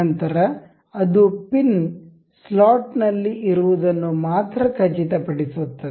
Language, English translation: Kannada, Then it will ensure the pin to remain in the slot its only